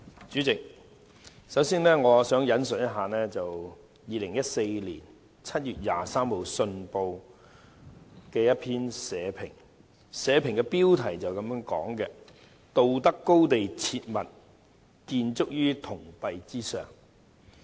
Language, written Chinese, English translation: Cantonese, 主席，我首先引述2014年7月23日的《信報》社評，標題是"道德高地切勿建築於銅幣之上"。, President let me first quote the editorial of the Hong Kong Economic Journal on 23 July 2014 the title of which is Moral high ground not to be built on money